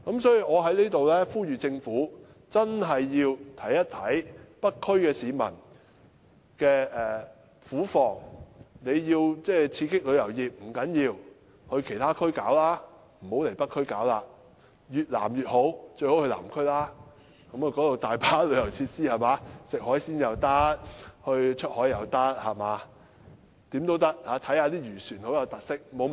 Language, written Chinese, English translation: Cantonese, 所以，我在此呼籲，政府真的要體諒北區居民的苦況，請政府到其他地區發展旅遊業，不要來北區，越南面越好，最好到南區，因為那裏有大量旅遊設施，旅客可以吃海鮮、出海、看漁船等，都是很有特色的活動。, Therefore I would like to urge the Government to really understand the plight of residents of North District and develop the tourism industry in other districts . Please do not come to North District the areas to the south such as Southern District will be better because there are a large number of tourist facilities . Visitors can eat seafood go sailing in the sea and see many fishing boats which are very unique activities